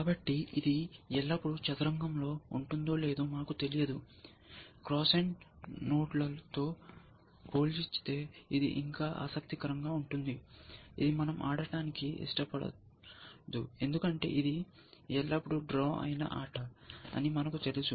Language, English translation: Telugu, So, we do not know, where a why it will always been in chess or not, which is by the game is still interesting, as oppose to cross and nodes, which we do not want to play because we know that it is always a drawn game essentially